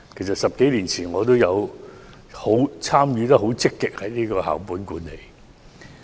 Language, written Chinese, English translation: Cantonese, 在10多年前，我也曾積極參與校本管理。, I also actively participated in school - based management more than 10 years ago